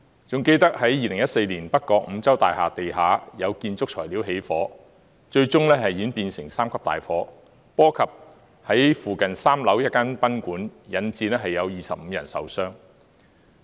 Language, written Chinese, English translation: Cantonese, 還記得2014年北角五洲大廈地下有建築材料起火，最終演變成3級大火，波及附近3樓一間賓館，引致25人受傷。, I can still recall that the building material on the ground floor of North Points Continental Mansion were caught on fire in 2014 which was eventually raised to a No . 3 Alarm Fire and had later spread to a nearby guesthouse on the third floor . The fire had caused 25 injuries